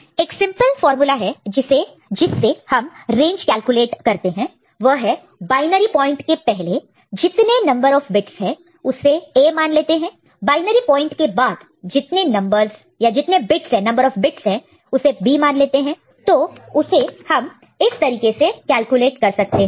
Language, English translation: Hindi, And one simple formula to calculate the range is the number of bits that is before the binary point is A and after the binary point is B, then it is can be calculated in this manner right